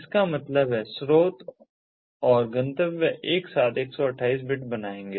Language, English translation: Hindi, that means source and destination together will become one twenty eight bits